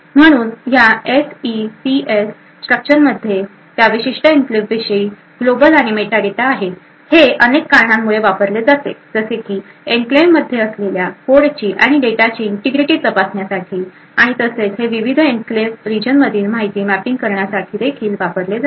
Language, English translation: Marathi, So this SECS structure contains global and meta data about that particular enclave, it is used by various reasons to such as to ensure the integrity of the code and data present in the enclave and it is also used for mapping information to the various enclave regions